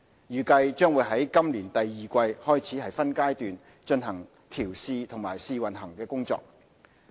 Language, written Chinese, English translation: Cantonese, 預計將會於今年第二季開始分階段進行調試和試運行的工作。, We expect to commence testing commissioning and trial operation of the XRL in phases from the second quarter of 2017